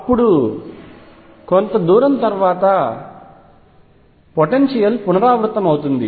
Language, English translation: Telugu, Then you see after a certain distance the potential repeat itself